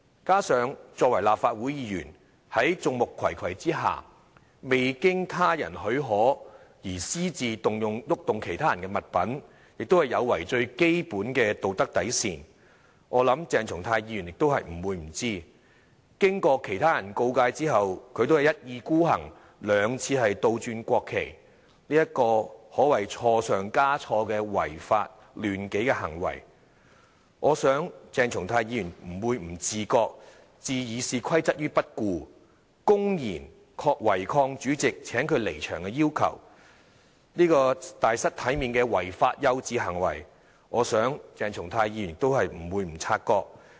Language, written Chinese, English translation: Cantonese, 加上作為立法會議員，在眾目睽睽下，未經他人許可私自移動其他人的物品，亦有違最基本的道德底線，我想鄭松泰議員也不會不知道；經過其他人告誡後，他仍一意孤行地兩次倒轉國旗，這個可謂是錯上加錯的違法亂紀行為，我想鄭松泰議員不會不自覺；置《議事規則》於不顧，公然違抗主席請他離場的要求，這個大失體面的違法幼稚行為，我想鄭松泰議員也不會不察覺。, In addition as a Legislative Council Member he moved other peoples articles without their permission and under the watchful eyes of so many people so it is also a violation of the moral bottom line and I think Dr CHENG Chung - tai could not possibly have no idea of that . After being warned by other people he still acted wilfully by inverting the national flags twice more so it can be described as a breach of law and order and doing one wrong after another and I think Dr CHENG Chung - tai could not possibly be unaware of that . He disregarded the Rules of Procedure and openly defied the withdrawal order of the President so this amounted to illegal immature and disgraceful behaviour and I think Dr CHENG Chung - tai could not possibly be unaware of that either